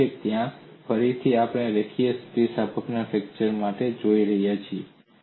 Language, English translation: Gujarati, Because there again, we are going in for a linear elastic fracture mechanics